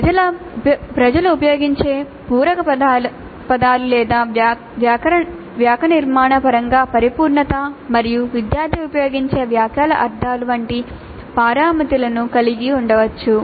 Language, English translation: Telugu, One could have parameters like the filler words that people use or the completeness in terms of syntax and semantics of the sentences used by the student